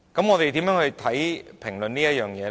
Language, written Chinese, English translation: Cantonese, 我們如何評論這件事呢？, How should we look at this matter?